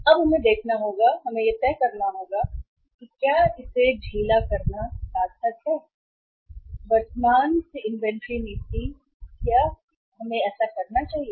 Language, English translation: Hindi, Now we will have to see, we will have to decide that whether it is worthwhile to loosen the inventory policy from the present one or we should not do this